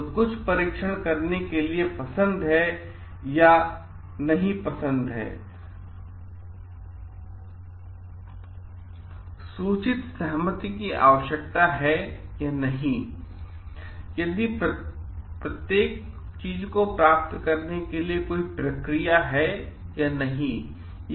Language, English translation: Hindi, So, like for doing certain testing whether like, informed consent is required and not ad if so how what is the process to get it done